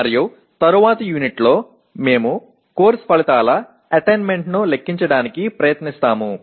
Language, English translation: Telugu, And in the next unit, we will try to compute the attainment of course outcomes